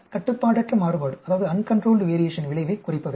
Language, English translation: Tamil, Reduce the effect of uncontrolled variation